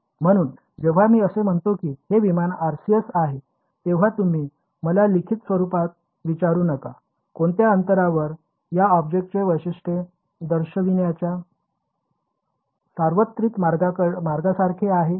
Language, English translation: Marathi, So, it is useful when I say this is the RCS of an aircraft you do not have to ask me in written, at what distance right it is more like a universal way to characterize this object